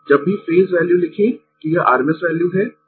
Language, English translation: Hindi, Whenever you write phase value that it is rms value